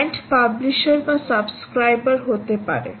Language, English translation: Bengali, it could be either the subscriber or the publisher